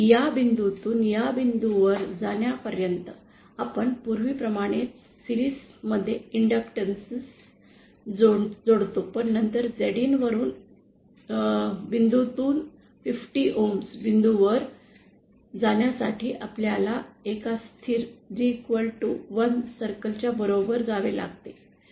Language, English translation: Marathi, So, for going from this point to this point, we connect a series inductance as we did previously but then for going from Zin this point to the 50 ohm point, we have to travel along a constant, along a G equal to one circle but then upwards